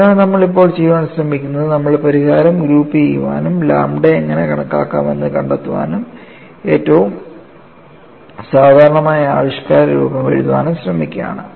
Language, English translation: Malayalam, So, what we are trying to do now is, we are trying to group the solution, find out how to estimate lambda, and then try to write the most general form of expression; still, we have not got what is the form of phi